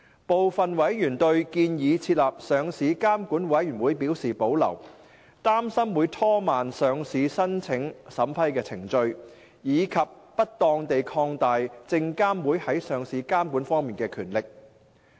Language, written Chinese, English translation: Cantonese, 部分委員對建議設立上市監管委員會表示保留，擔心會拖慢上市申請審批程序，以及不當地擴大證監會在上市監管方面的權力。, Some members expressed reservation on the proposed establishment of the Listing Regulatory Committee as there were concerns that it would delay the approval process of listing applications and unduly increase SFCs power in listing regulation